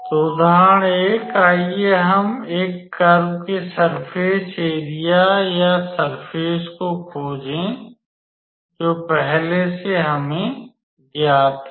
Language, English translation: Hindi, So, example 1; Let us find the surface area of a curve which is or a surface which is already known to us